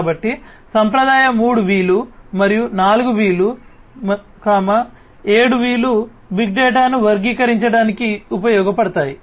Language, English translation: Telugu, So, traditional 3 V’s plus the 4 V’s, 7 V’s would be used to characterize big data